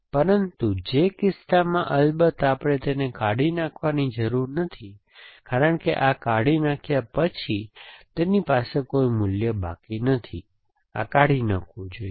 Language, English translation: Gujarati, But, in which case, of course we do not have to delete it simply, because it does not have any value remaining after this has been deleted, this should be deleted